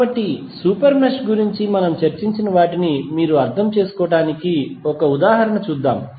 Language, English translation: Telugu, So, let us see one example so that you can understand what we discussed about the super mesh and larger super mesh